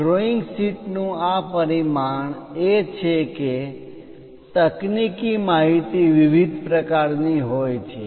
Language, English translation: Gujarati, This dimensioning of these drawing sheets are the technical information is of different kinds